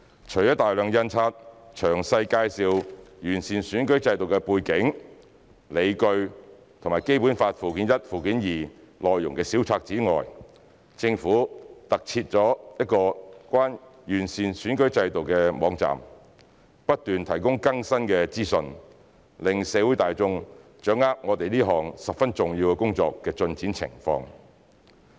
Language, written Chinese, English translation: Cantonese, 除了大量印發詳細介紹完善選舉制度的背景、理據和《基本法》附件一和附件二內容的小冊子外，政府特設了一個有關完善選舉制度的網站，不斷提供更新的資訊，讓社會大眾掌握我們這項十分重要工作的進展情況。, In addition to the publication of a large number of booklets explaining the background and justifications for improving the electoral system and the content of Annex I and Annex II to the Basic Law the Government has launched a website on improving the electoral system which will be updated on an ongoing basis to keep the general public informed of the progress of this very important task